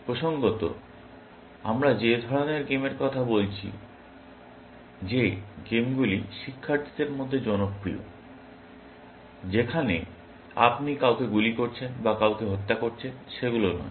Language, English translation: Bengali, the games which are popular amongst students where, you are shooting somebody or killing somebody